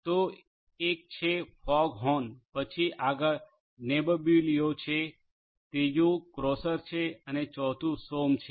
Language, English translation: Gujarati, So, one is the FogHorn, say next is Nebbiolo, third is Crosser and fourth is Sonm